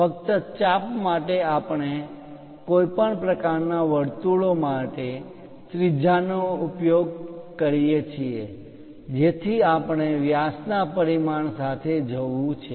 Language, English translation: Gujarati, Only for arcs, we use radius for any kind of circles we have to go with diameter dimensioning